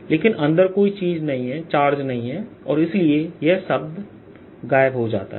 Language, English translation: Hindi, since there is no charge inside, this term is goes to zero